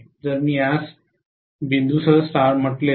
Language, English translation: Marathi, So, if I call this as star with the dot